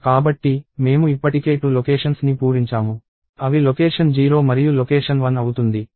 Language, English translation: Telugu, So, I already have 2 locations filled up; namely location 0 and location 1